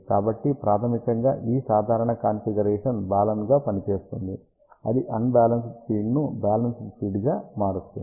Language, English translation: Telugu, So, basically this simple configuration acts as a Balun, it converts the unbalanced feed to the balanced feed